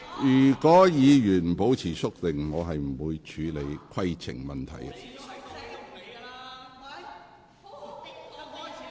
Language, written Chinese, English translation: Cantonese, 如委員不保持肅靜，我不會處理規程問題。, I will not deal with any point of order unless Members keep quiet